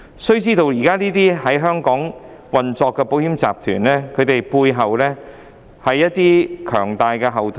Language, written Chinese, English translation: Cantonese, 須知道，現時這些在香港營運的保險集團，背後也有一些強大後盾。, One should know that the insurance groups currently operating in Hong Kong have very strong backing